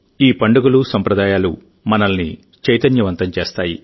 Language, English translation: Telugu, These festivals and traditions of ours make us dynamic